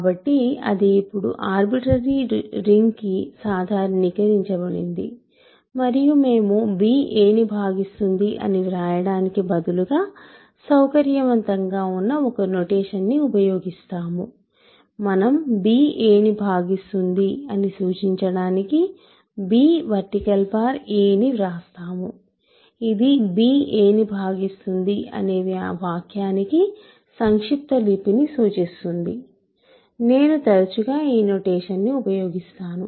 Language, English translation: Telugu, So, that is now generalized to an arbitrary ring situation and we use a notation this is convenient instead of writing in words b divides a, we write b divides a to indicate that we write b vertical bar a this implies this is a shorthand for the statement b divides a that I will use often or that b is a proper b is a divisor of a